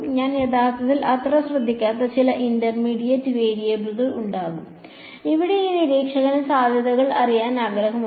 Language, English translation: Malayalam, There will be some intermediate variable which I do not actually care so much about; I mean this observer over here just wants to know potential